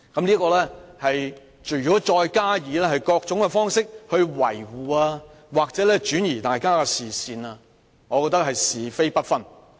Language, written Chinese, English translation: Cantonese, 如果他們再以各種方式維護何議員或轉移大家的視線，我覺得他們是是非不分。, If they keep trying to defend Dr HO by various means or divert Members attention I think they are unable to tell right from wrong